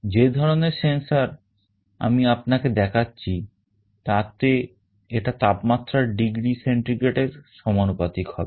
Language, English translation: Bengali, The kind of sensor that we shall be showing you, it will be proportional to the degree centigrade the temperature